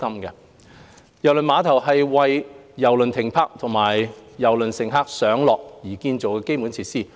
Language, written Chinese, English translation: Cantonese, 郵輪碼頭是為郵輪停泊和郵輪乘客上落建造的基建設施。, KTCT is an infrastructure dedicated for cruise berthing and cruise passengers embarkingdisembarking